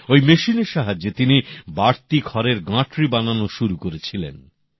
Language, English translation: Bengali, With this machine, he began to make bundles of stubble